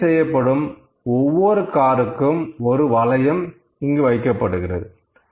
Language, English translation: Tamil, So, each car they are servicing, they are putting a ring here